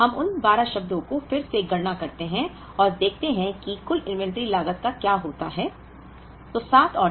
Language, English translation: Hindi, So, let us compute those 12 terms again and see what happens to the total inventory cost